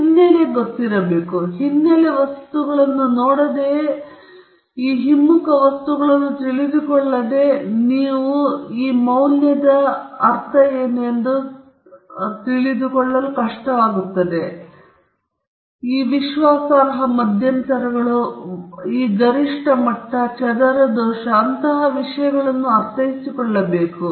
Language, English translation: Kannada, Without doing this background material or without knowing this back ground material you may not be able to understand what is meant by P value or confidence intervals or level of significance, mean square error, and things like that